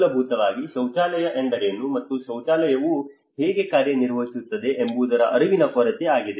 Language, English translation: Kannada, It is basically their lack of awareness on what a toilet is and what how a toilet functions